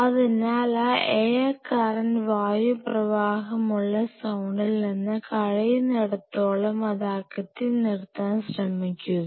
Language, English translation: Malayalam, So, try to keep it away from that air current zone and as far as possible